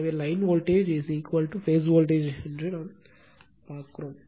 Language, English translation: Tamil, So, it is line voltage is equal to phase voltage